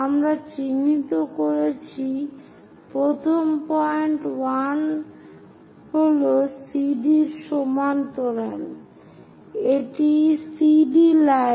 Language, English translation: Bengali, We have identified the first point is 1 parallel to CD